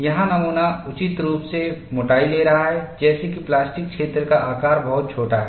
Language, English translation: Hindi, This is by appropriately taking the specimen thickness, such that the plastic zone size is very very small